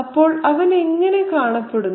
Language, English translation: Malayalam, So, how does he look like